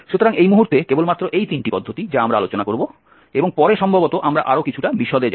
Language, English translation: Bengali, So only these three norms at this moment we will adjust the state and later on perhaps we will go little more into the details